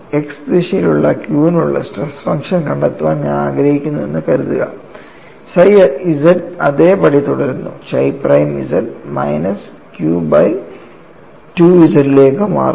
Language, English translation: Malayalam, Suppose I want to find out stress function for q in the x direction, psi z remains same chi prime z changes to minus q by 2 z